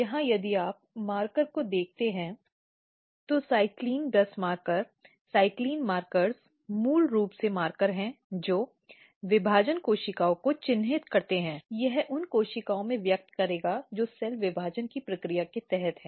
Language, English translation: Hindi, Here if you look the marker, cyclin gus marker, cyclin markers are basically markers which marks the dividing cells, it will express in the cells which is under process of cell division